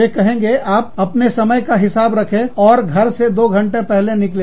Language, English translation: Hindi, They will say, you budget it in your time, and leave your house, two hours early